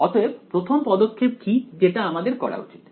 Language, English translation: Bengali, So, what is the first step I should do